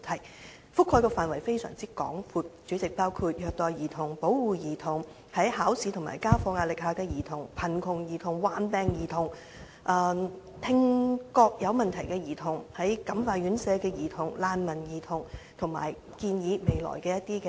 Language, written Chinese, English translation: Cantonese, 主席，這些問題涵蓋的範圍非常廣闊，包括虐待兒童、保護兒童、在考試和家課壓力下的兒童、貧窮兒童、患病兒童、聽覺有問題的兒童、在感化院舍的兒童、難民兒童，以及對未來路向的一些建議。, President these issues cover a very wide scope including child abuse child protection children amid examination and schoolwork stress children under poverty ailing children children with hearing impairment children in correctional home refugee children and recommendations on the way forward